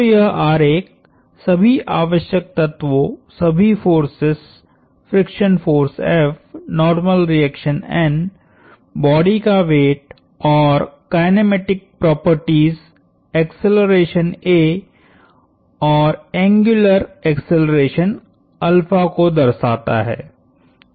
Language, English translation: Hindi, So, this diagram captures all the necessary elements, all the forces, the friction force F, normal reaction N, the weight of the body and the kinematic properties, the acceleration a and the angular acceleration alpha